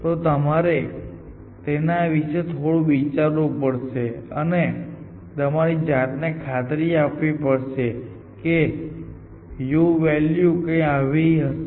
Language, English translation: Gujarati, So, you have to think a little bit about this and convince yourself that this is how a u value